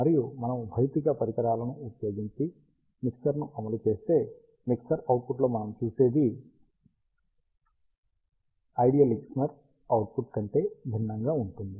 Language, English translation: Telugu, And ah if we implement a mixer using physical devices, what we see at the mixer output, which is quite different than the ideal mixer output